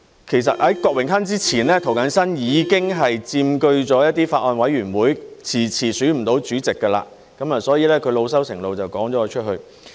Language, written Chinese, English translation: Cantonese, 其實在郭榮鏗之前，涂謹申已經佔據了一些法案委員會，遲遲選不到主席，所以他老羞成怒就趕了我出去。, At that time Mr James TO Actually James TO had preceded Mr Dennis KWOK in occupying some Bills Committees and long failed to elect the chairmen so he expelled me in a bout of anger